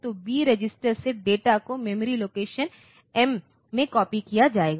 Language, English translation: Hindi, So, the data from B register will be copied into memory location M